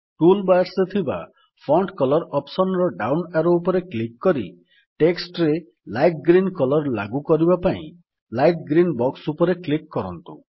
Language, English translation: Odia, Now click on the down arrow in the Font Color option in the toolbar and then click on the light green box for applying the Light green colour to the the text